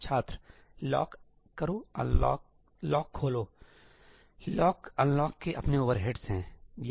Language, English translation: Hindi, lock, unlock Lock, unlock has its overheads